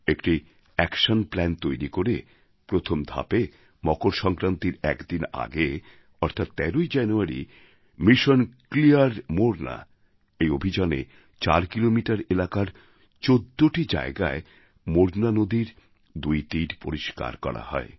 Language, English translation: Bengali, An action plan was chalked out and on January 13 th a day before MakarSankranti, in the first phase of Mission Clean Morna sanitation of the two sides of the bank of the Morna river at fourteen places spread over an area of four kilometers, was carried out